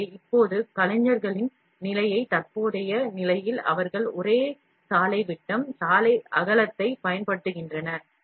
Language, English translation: Tamil, So, now current the state of the artists, they use same road diameter, road width